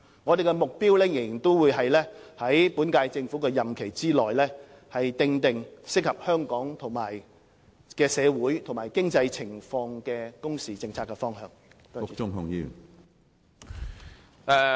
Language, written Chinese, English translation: Cantonese, 我們的目標仍然是在本屆政府的任期內，訂定適合香港社會和經濟情況的工時政策方向。, It is still our objective to map out within the current term the working hours policy direction that suits Hong Kongs socio - economic situation